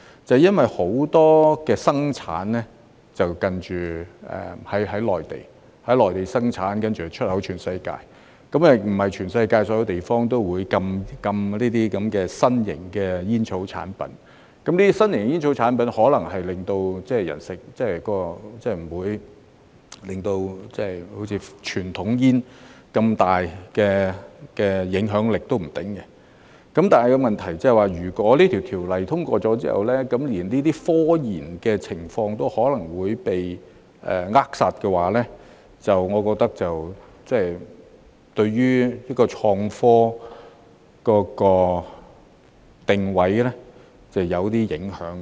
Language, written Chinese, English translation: Cantonese, 正因為很多生產是在內地進行，然後出口到全世界，不是全世界所有地方也會禁止這些新型的煙草產品，這些新型的煙草產品，可能不會好像傳統煙那樣，產生那麼大的影響力，但問題是，如果《2019年吸煙條例草案》通過之後，連這些科研活動可能也會被扼殺，我覺得對於創科定位會有些影響。, Because many products are manufactured on the Mainland and then exported to the world not all places in the world will ban these novel tobacco products . These novel tobacco products may not have as much impact as conventional cigarettes but the problem is that even these scientific research activities will be throttled if the Smoking Amendment Bill 2019 is passed . I think this will somewhat affect the positioning of innovation and technology